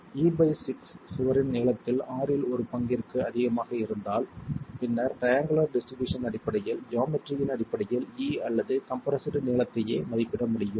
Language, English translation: Tamil, If E by 6 is greater than one sixth of the length of the wall itself, then based on the triangular distribution it is possible, based on the geometry itself it is possible to estimate E or the compressed length itself